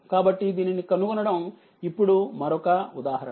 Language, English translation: Telugu, So, determine now this is another example